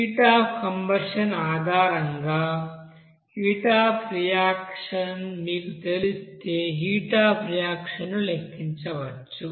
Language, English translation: Telugu, Also heat of reaction can be calculated once you know that heat of reaction based on the heat of combustion